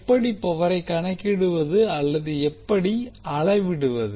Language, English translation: Tamil, How will calculate or how will measure this power